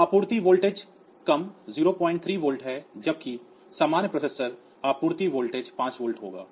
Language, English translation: Hindi, 3 0 volt whereas, the normal processor the supply voltage will be 5 volt